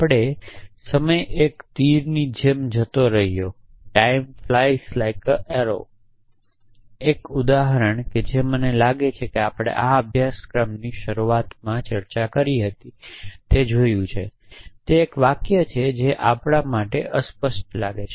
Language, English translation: Gujarati, We saw an example time fly’s like an arrow I think we had discuss it the beginning of the course is a sentence which for us seem some ambiguous